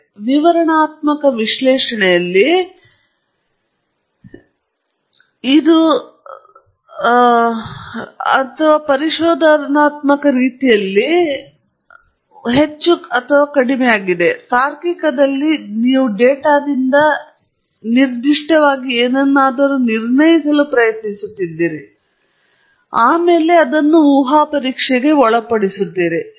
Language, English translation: Kannada, And in descriptive analysis, again, it is more or less like exploratory; whereas in inferential you are trying to infer something very specific from data and you are subjecting it to hypothesis testing